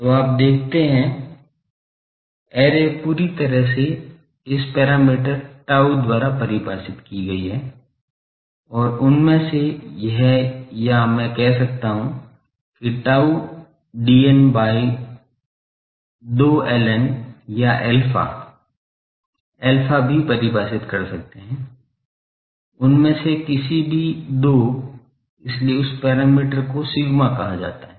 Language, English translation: Hindi, So, you see, the array is completely defined by this parameter tau and one of these or I can say tau dn by 2 l n or alpha, alpha also can define, any two of them, so this parameter is called sigma